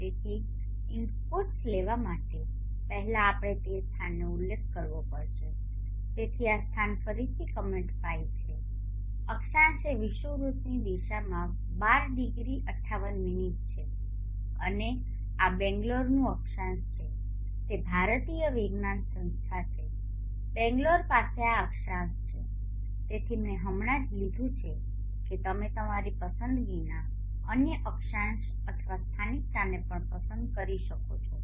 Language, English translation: Gujarati, So the first commands would be clearing the screen and then clear all the variables and then now let us take inputs so to take inputs first we allow to mention the locality so the locality this again is the command file the latitude is 12 degree 58 minutes north of the Equator and this is the latitude of Bangalore that is Indian institute of Science Bangalore has this latitude so I just have taken that you can as well choose any other latitude or locality of your choice